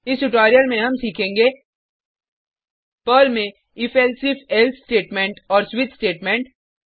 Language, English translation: Hindi, Welcome to the spoken tutorial on if elsif else and switch conditional statements in Perl